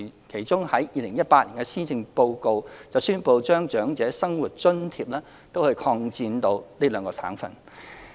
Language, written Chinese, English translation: Cantonese, 其中，在2018年施政報告中，我們宣布將長者生活津貼擴展至該兩省的可攜安排。, In the Policy Address of 2018 we announced expanding the coverage of the portability arrangement for these two provinces to include OALA